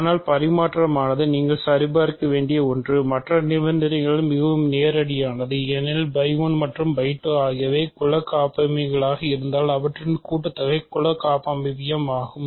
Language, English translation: Tamil, So, commutative is something you have to check, the other condition are fairly straight forward because if phi 1 and phi 2 are group homomorphisms, their sum is group homomorphism